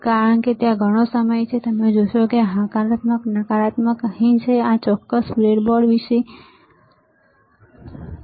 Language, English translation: Gujarati, Now because there is lot of time, you know, this positive negative is here, but what about this particular breadboard